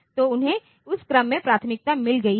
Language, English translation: Hindi, So, they have got the priorities in that order